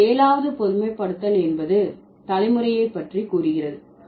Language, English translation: Tamil, Let's look at the seventh generalization here